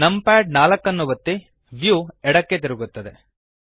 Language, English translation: Kannada, Press numpad 4 the view rotates to the left